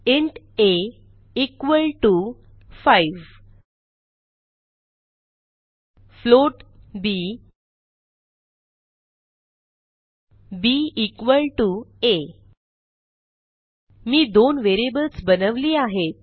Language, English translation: Marathi, int a equal to 5 float b b equal to a I have created two variables